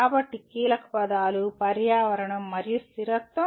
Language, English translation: Telugu, So the keywords are environment and sustainability